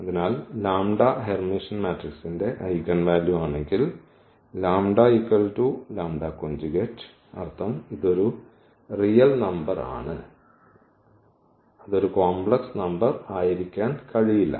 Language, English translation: Malayalam, So, if lambda is the eigenvalue of Hermitian matrix, then the lambda is equal to lambda bar meaning it is a real number, it cannot be a complex number ok